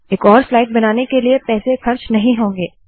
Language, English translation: Hindi, It does not cost any money to create another slide